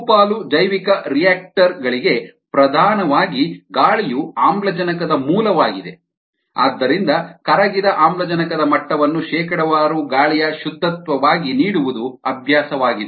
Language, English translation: Kannada, with air predominantly, air is the source of oxygen for ah most bioreactors and therefore it is been the practice to give dissolve oxygen levels as percentage air saturation